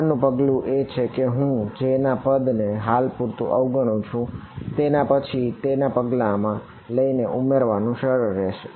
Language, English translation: Gujarati, Next step so, I am ignoring the J term for now, it is easy to add it in next step would be to take